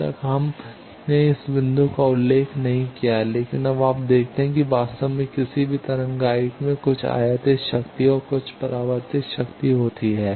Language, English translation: Hindi, Till now we have not mentioned this point, but now you see that in actually any wave guide there is some incident power and some reflected power